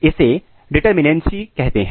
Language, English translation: Hindi, So, this is called determinacy